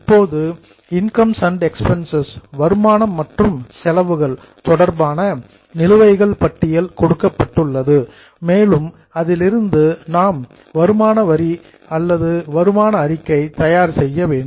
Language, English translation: Tamil, Now, a list of balances related related to incomes and expenses are given and from that we have to make income statement